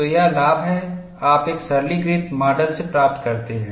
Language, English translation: Hindi, And what was done in a simplistic model